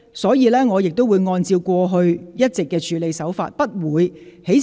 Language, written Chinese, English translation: Cantonese, 所以，這次我亦會按照過往一貫的處理方法，不會在事後才作出裁決。, Therefore this time I will also follow the established practice that is I will not make any ruling after the incident is over